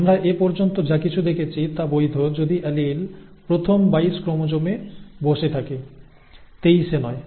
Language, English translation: Bengali, Whatever we have seen so far is valid if the allele sits on the first 22 chromosomes, not the 23rd